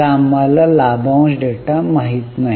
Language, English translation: Marathi, So, we don't know dividend data, so we don't know this